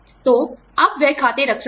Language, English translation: Hindi, So, you could have spending accounts